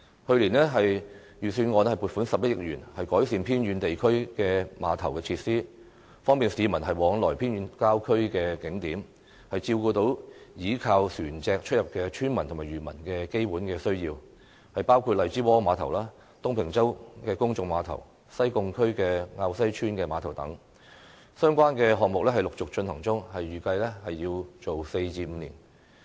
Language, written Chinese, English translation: Cantonese, 去年，財政預算案撥款11億元，改善偏遠地區的碼頭設施，方便市民往來偏遠郊區的景點，照顧依靠船隻出入的村民及漁民的基本需要，包括荔枝窩碼頭、東平洲公眾碼頭、西貢區滘西村碼頭等，相關的項目陸續進行中，預計工程需時4至5年。, Last year 1.1 billion was earmarked in the Budget for improving pier facilities in remote areas so as to make it convenient for people to travel to and from attractions in remote suburban areas and cater to the basic needs of villagers and fishermen who travel by boats . The piers include Lai Chi Wo Pier Tung Ping Chau Public Pier and Kau Sai Village Pier in Sai Kung . The relevant projects are being undertaken one after another and it is estimated that it takes four to five years to complete